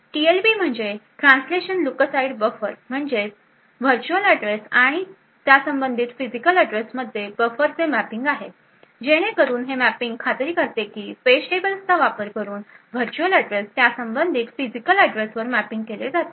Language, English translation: Marathi, The TLB stands for the translation look aside buffer has a mapping between the virtual address and the corresponding physical address so this mapping will ensure that once a virtual address is mapped to its corresponding physical address using the page tables that are present that mapping from virtual address to physical address is stored in the TLB